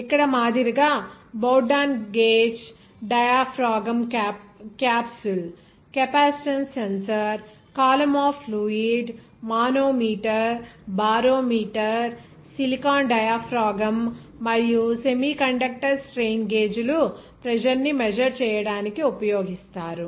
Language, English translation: Telugu, Like here the Bourdon gauge, diaphragm capsule, capacitance sensor, column of fluid, manometer, barometer, silicon diaphragm and semiconductor strain gauges are used to measure the pressure